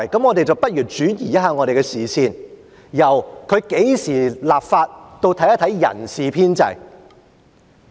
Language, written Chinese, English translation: Cantonese, 我們不如轉移一下視線，由何時立法，轉為看一看人事編制。, Let us just shift our focus from the time of the introduction of the legislation to staff establishment